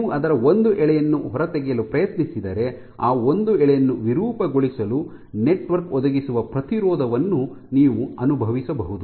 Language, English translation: Kannada, If you try to take out a single strand of it you can feel the resistance that the network provides towards deformation of that one strand